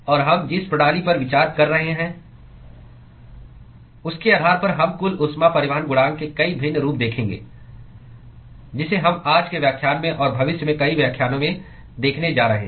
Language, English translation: Hindi, And we will see many different variations of the overall heat transport coefficient, depending upon the system that we are considering; that we are going to see in today’s lecture and several lectures in future